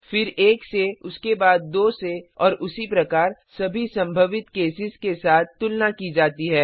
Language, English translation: Hindi, Then with 1 then with 2 and so on with all the possible cases